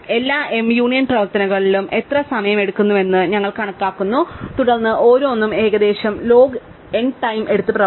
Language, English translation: Malayalam, We are counting across all the m union operations how much time we take, and then working out that each one takes roughly log n time